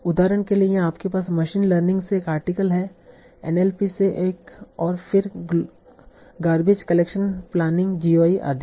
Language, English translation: Hindi, For example here you have an article from machine learning another from NLP, then garbage collection, planning, GUI and so on